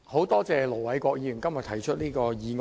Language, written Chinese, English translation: Cantonese, 多謝盧偉國議員今天提出這項議案。, I thank Ir Dr LO Wai - kwok for proposing this motion today